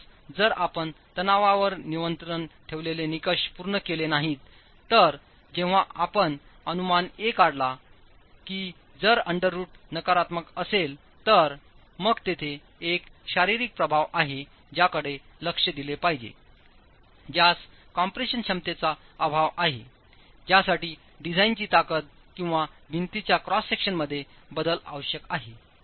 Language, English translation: Marathi, So, in case the tension control criterion is not satisfied, when you then proceed to estimate A, if the under root is negative negative then there is a physical implication which has to be addressed which is lack of compression capacity which requires a change in the design strength or the cross section of the wall